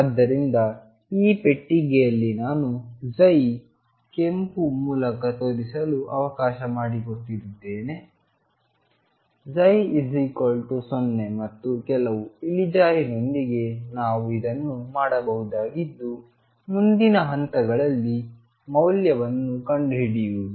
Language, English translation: Kannada, So, in this box, I have let me show psi by red psi equals 0 and some slope what we can do with this is find the value at the next point